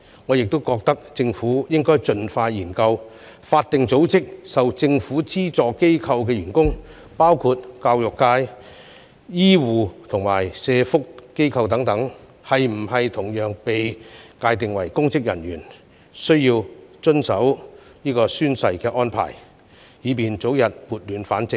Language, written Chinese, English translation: Cantonese, 我認為政府應該盡快展開研究，將法定組織及受政府資助機構的員工，包括教育、醫護及社福機構的人員，同樣界定為須遵守宣誓安排的公職人員，以便早日撥亂反正。, In my view the Government should expeditiously commence the study on including staff of statutory bodies and subvented organizations such as education healthcare and social welfare personnel under the scope of public officers so that they will also be subject to the oath - taking arrangement with a view to restoring order as early as possible